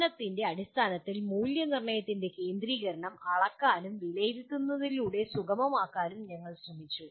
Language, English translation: Malayalam, And we also tried to look at the centrality of assessment in terms of learning is measured and facilitated through assessment